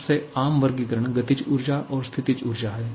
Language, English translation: Hindi, The most common classification being the kinetic energy and potential energy